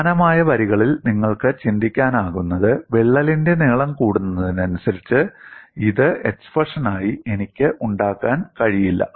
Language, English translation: Malayalam, On similar lines, what you can also think of is, as the length of the crack increases, I cannot have this as the expression